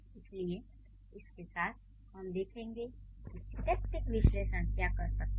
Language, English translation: Hindi, So with that we'll see what are the other things that syntactic analysis can do